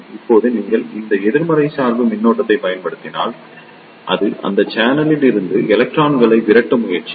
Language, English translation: Tamil, Now, if you apply a negative bias voltage, it will try to ripple the electrons away from this channel